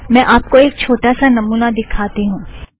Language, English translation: Hindi, Let me demonstrate this for you